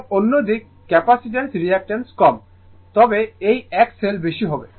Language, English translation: Bengali, And in other side capacitance reactance is less, but this one will be X L will be more